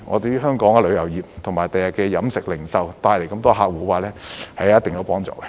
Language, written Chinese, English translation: Cantonese, 這為香港的旅遊業及飲食、零售業等帶來更多客戶，會有一定幫助。, This will help to bring more customers to tourism catering retail and other industries in Hong Kong